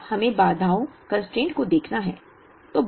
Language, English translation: Hindi, Now, we have to look at the constraints